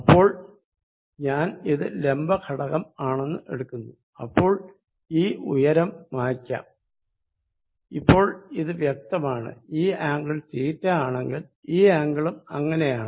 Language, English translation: Malayalam, Now, I take it is vertical component, so if this let me erase this height now, now that it is clear what it is, if this angle is theta, so is this angle